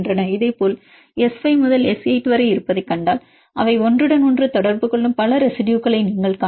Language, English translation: Tamil, Similarly if you see this is S 5 to S 8 you can see several residues which they interacting together form network interactions